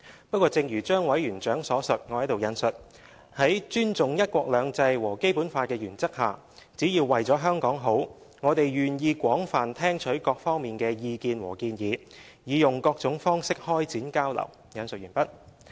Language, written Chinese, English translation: Cantonese, 不過，正如張委員長所述："在尊重'一國兩制'和《基本法》的原則下，只要為了香港好，我們願意廣泛聽取各方面的意見和建議，以用各種方式開展交流。, However as stated by Chairman ZHANG and I quote [o]n the basis of respect for one country two systems and the Basic Law and for the good of Hong Kong we are willing to listen extensively to the views and suggestions of all sectors in Hong Kong and conduct all forms of exchange